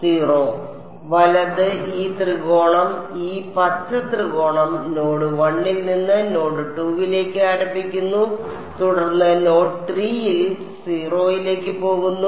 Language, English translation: Malayalam, 0; right, this triangle this green triangle is starting from node 1, going to node 2 and then going to 0 at node 3